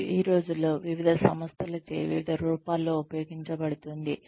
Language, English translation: Telugu, And, is used in various forms these days, by various organizations